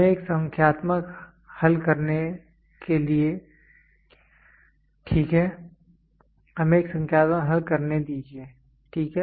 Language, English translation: Hindi, Let us take a numerical to solve, ok